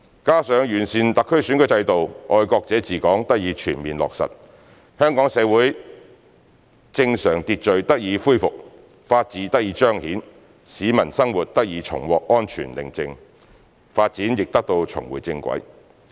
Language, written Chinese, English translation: Cantonese, 加上完善特區選舉制度，"愛國者治港"得以全面落實，香港社會正常秩序得以恢復、法治得以彰顯、市民生活重獲安全寧靜、發展亦得以重回正軌。, Coupled with the improvement of the HKSARs electoral system and the full implementation of the principle of patriots administering Hong Kong normal social order in Hong Kong has been restored the rule of law has returned people can lead a safe and tranquil life again and our development has been back on the right track